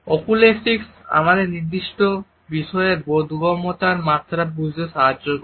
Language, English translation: Bengali, Oculesics help us to understand what is the level of comprehension of a particular topic